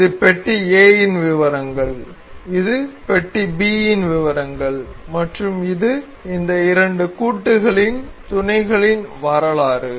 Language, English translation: Tamil, This is block A details of block A, this is details of block B and this is the mating history of these the two assembly